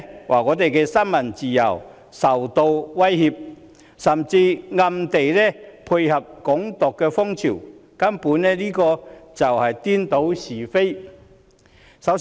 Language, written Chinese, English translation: Cantonese, 她說新聞自由受到威脅，甚至暗地裏配合"港獨"風潮，根本是顛倒是非。, She said that freedom of the press was threatened and she even secretly supported the trend of Hong Kong independence; she is fundamentally confounding right and wrong